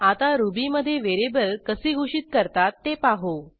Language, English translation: Marathi, Now let us see how to declare a variable in Ruby